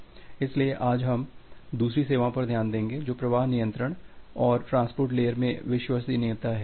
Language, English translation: Hindi, So, today we look into the second services which is the flow control and the reliability in transport layer